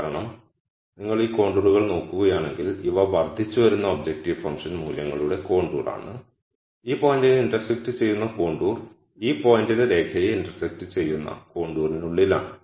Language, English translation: Malayalam, This is because if you look at these contours these are contours of increasing objective function values and the contour that intersects this point is within the contour that intersects the line at this point